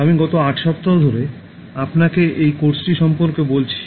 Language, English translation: Bengali, I have been giving this course to you for the past eight weeks